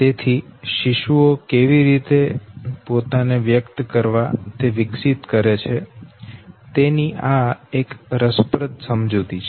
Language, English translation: Gujarati, So this is an interesting explanation of how infants, they develop how to express themselves okay